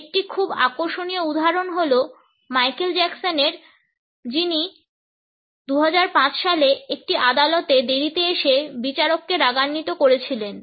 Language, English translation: Bengali, A very interesting example is that of Michael Jackson, who angered the judge when he arrived late in one of the courts in 2005